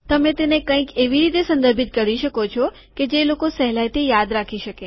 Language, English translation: Gujarati, You want to refer to it by something that people can remember in talks